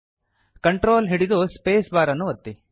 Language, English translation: Kannada, Hold the CONTROL Key and hit the space bar